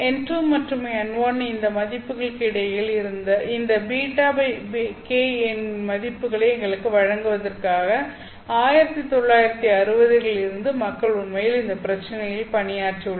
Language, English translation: Tamil, And people since 1960s have actually worked on this problem in order to give us the values of this beta by k between these values of n2 and n1